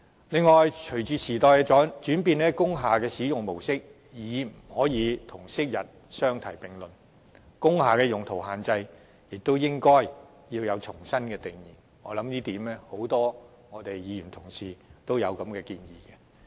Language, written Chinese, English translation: Cantonese, 此外，隨着時代轉變，工廈的使用模式已不能與昔日的模式相提並論，工廈用途的限制也應須重新設定，相信不少議員對此也持相同看法。, Besides as times have changed the pattern of utilization of industrial buildings is incomparable to that in the past and so the restrictions on their uses should also be reset . I believe many Members do share my view